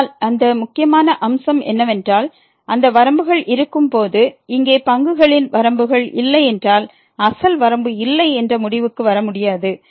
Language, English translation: Tamil, But that important point was that these rule is valid when, when those limits exist we cannot conclude if those limits here of the derivatives do not exists then we cannot conclude that the original limit does not exist